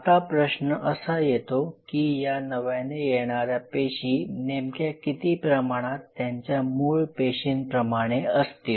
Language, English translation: Marathi, Now the question is how much closely this new cell which arose from the pre existing cell is similar to its parent